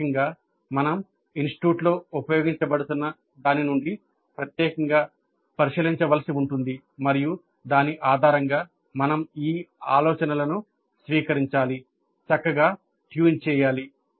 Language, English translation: Telugu, So basically we'll have to look into the specific form that is being used at the institute and then based on that we have to adapt, fine tune these ideas